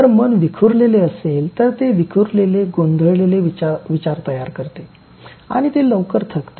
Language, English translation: Marathi, If the mind is scattered, so scattered mind yields to divergent thoughts and gets bogged down with fatigue soon